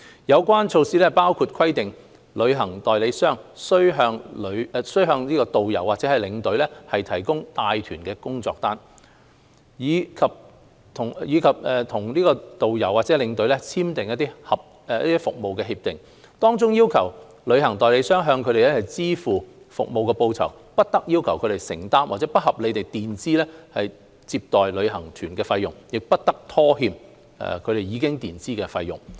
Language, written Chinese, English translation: Cantonese, 有關措施包括規定旅行代理商須向導遊或領隊提供帶團工作單，以及與導遊或領隊簽訂服務協議，當中要求旅行代理商向他們支付服務報酬、不得要求他們承擔或不合理地墊支接待旅行團費用，亦不得拖欠他們已墊支的費用。, These measures include requiring a travel agent to provide a job sheet for its tourist guides or tour escorts and sign a service agreement with them whereby a travel agent must pay them service remuneration; must not require them to bear or unreasonably advance any payment for a tour group received; and must not delay the reimbursement for any advance payment made by its tourist guides or tour escorts